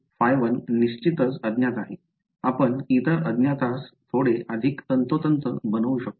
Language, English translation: Marathi, Phi is definitely unknown can we make the other unknown a little bit more precise